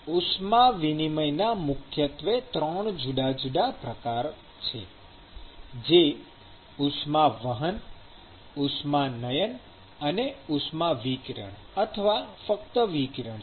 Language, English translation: Gujarati, So, there are primarily 3 different modes of heat transfer, which are basically conduction, convection and thermal radiation